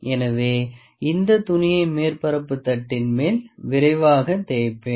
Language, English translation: Tamil, So, I will just swipe quickly this cloth over the surface plate as well